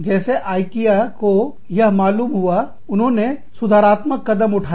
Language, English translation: Hindi, So, as soon as, Ikea came to know about this, they took corrective action